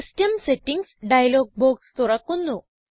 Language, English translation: Malayalam, The System Settings dialog box opens up